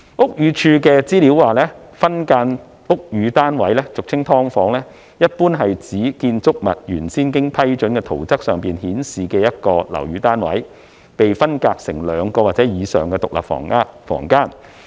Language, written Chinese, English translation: Cantonese, 屋宇署的資料顯示，分間樓宇單位，俗稱"劏房"，一般是指在建築物原先經批准的圖則上顯示的一個樓宇單位被分間成兩個或以上的獨立房間。, According to the Buildings Department subdivision of a flat into the commonly - known SDUs generally refers to the subdivision of a flat as shown on the original approved plan of a building into two or more individual rooms